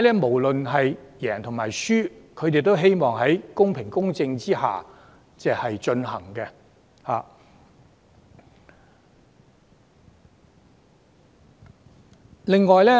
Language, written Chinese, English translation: Cantonese, 無論當選與否，候選人都希望選舉能公平公正地進行。, No matter who were elected all candidates wished to have a fair and just election